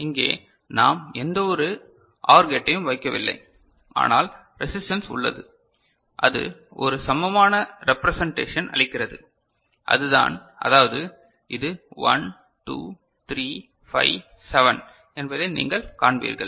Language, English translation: Tamil, Here we are not putting any OR gate just resistance is there, but it is giving an equivalent representation and that is what, that is you will find that this is 1 2 3 5 7